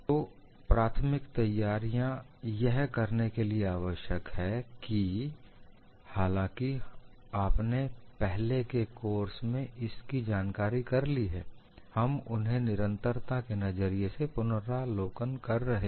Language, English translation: Hindi, So, these preliminaries are required to do that, although you should have got this knowledge from your earlier course, we are reviewing them for continuity